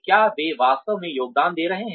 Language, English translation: Hindi, Are they really contributing